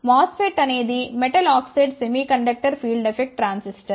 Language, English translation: Telugu, MOSFET is metal oxide semi conductor field effect transistor